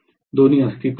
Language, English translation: Marathi, Both are existing